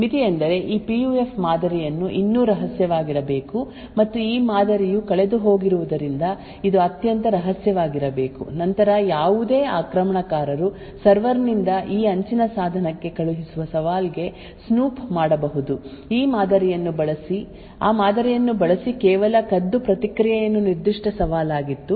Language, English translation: Kannada, The limitation is that this PUF model still has to be kept secret and it has to be extremely secret because of this model is lost then any attacker could snoop into the challenge that is sent from the server to that edge device, use that model which it has just stolen and provide the response was that particular challenge